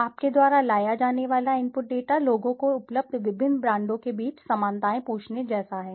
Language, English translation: Hindi, The input data you have to bring in is like asking people the similarities of among the different brands available